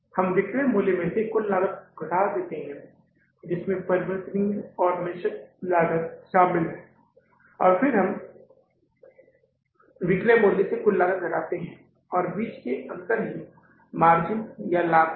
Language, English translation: Hindi, We take the selling price minus total cost variable in the fixed cost and then we arrive at the difference of the selling price minus the total cost is the profit or the margin